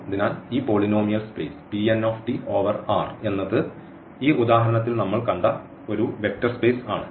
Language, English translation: Malayalam, So, this polynomial space P n t over R is a vector space which we have seen in this example